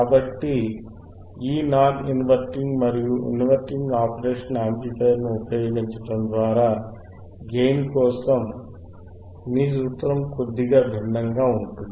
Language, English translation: Telugu, So, by using this non inverting and inverting impressionoperational amplifier, your formula for gain would be slightly different